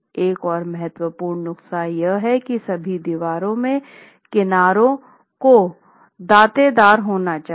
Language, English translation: Hindi, Another important prescription is how the edges of all walls must be toothed